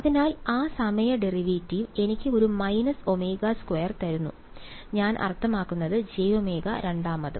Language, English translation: Malayalam, So, that time derivate give me a minus omega square I mean j omega and the second time